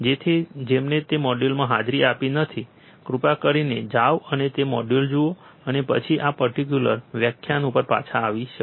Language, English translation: Gujarati, So, those who have not attended that module, please go and see that module, and then you could come back to this particular lecture